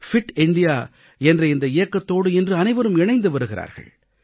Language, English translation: Tamil, Everybody is now getting connected with this Fit India Campaign